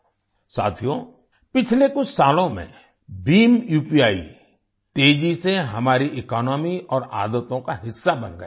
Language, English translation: Hindi, Friends, in the last few years, BHIM UPI has rapidly become a part of our economy and habits